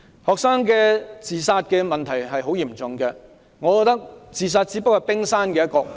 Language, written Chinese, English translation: Cantonese, 學生的自殺問題很嚴重，我覺得自殺只是問題的冰山一角。, Student suicide is a grave issue . I think these suicide cases only show the tip of the iceberg